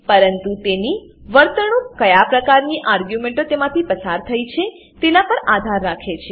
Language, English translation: Gujarati, But it behaves differently depending on the arguments passed to them